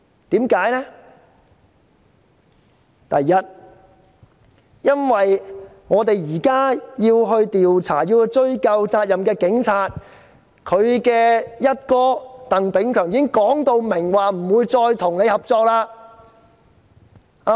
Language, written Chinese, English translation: Cantonese, 第一，因為我們現在要調查警察和追究警察的責任，但警隊"一哥"鄧炳強已經表明不會繼續合作。, Firstly while it is our wish to hold the Police accountable for their wrongdoings through an inquiry Chris TANG the Commissioner of Police has expressly stated that the Police will not cooperate